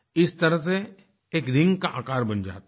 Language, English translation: Hindi, Hence, a ringlike shape is formed